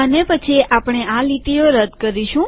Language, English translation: Gujarati, And then we will delete these lines